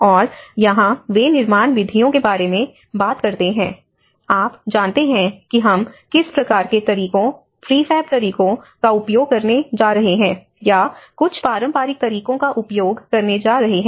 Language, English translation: Hindi, And here they talk about the construction methods; you know what kind of methods, prefab methods are we going to use, or some traditional methods we are going to use